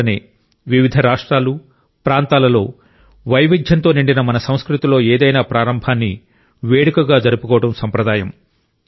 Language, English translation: Telugu, That is the reason it has been a tradition to observe any new beginning as a celebration in different states and regions and in our culture full of diversity